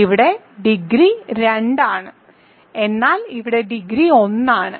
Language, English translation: Malayalam, So, here degree is 2 here degree is 2, but here degree is 1